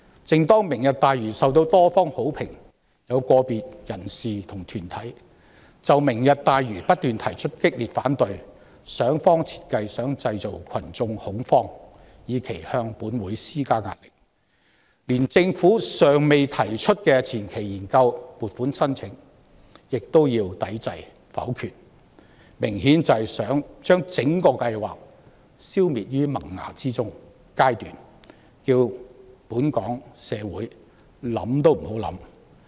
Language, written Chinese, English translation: Cantonese, 正當"明日大嶼願景"受到多方好評，有個別人士和團體卻不斷就此提出激烈反對，想方設法製造群眾恐慌，以期向本會施加壓力，連政府尚未提出的前期研究撥款申請亦想要抵制和否決，明顯想將整個計劃消滅於萌芽階段，讓社會想想也不能。, As the Lantau Tomorrow Vision has received widespread compliment some individuals and organizations have been ceaselessly mounting strong opposition trying to employ every means possible to create public fear with a view to putting pressure on the Council . They even wish to turn down and negative the funding application for the preliminary study the Government has not yet proposed in an apparent attempt to nip the entire plan in the bud so that society cannot even think about it